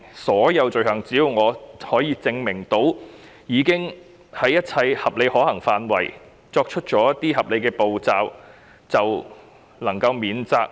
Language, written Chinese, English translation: Cantonese, 是否只要我可以證明，我已經在一切合理可行範圍內採取合理步驟，便應能免責呢？, Does it follow that a person can establish a defence as long as he can prove that he has taken all reasonable steps as far as reasonably practicable?